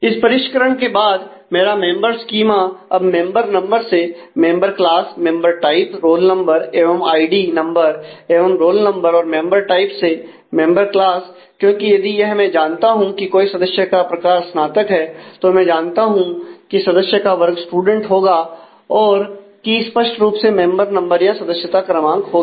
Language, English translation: Hindi, So, with this refinement my members schema now turns out to be member number member class member type roll number and id member number determines everything it member type also determines member class, because if I know some member type is undergraduate I know member class is student and so, on key; obviously, is one number